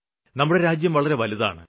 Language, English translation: Malayalam, Our country is very large